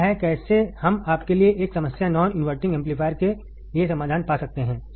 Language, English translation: Hindi, This is how we can find the solution for the non inverting amplifier given a problem to you